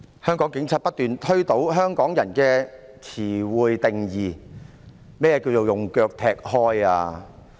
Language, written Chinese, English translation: Cantonese, 香港警察不斷推倒香港人對日常用語的定義，何謂"用腳推開"？, The Hong Kong Police keep overturning Hongkongers definition of daily expressions . What is meant by pushing with ones foot?